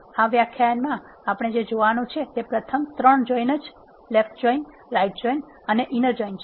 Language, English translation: Gujarati, In this lecture, what we have going to see are the first 3 left join, right join and inner join